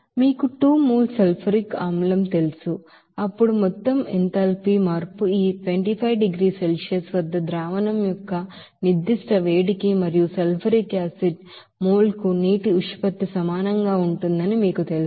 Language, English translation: Telugu, Now since there is you know 2 mole of sulfuric acid then total you know enthalpy change will be is equal to n of sulfuric acid into specific heat of solution at this 25 degree Celsius and the ratio of water to the sulfuric acid mole